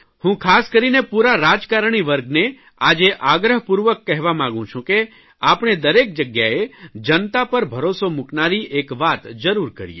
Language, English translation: Gujarati, I would like to specially appeal to the entire political class to place implicit faith in the people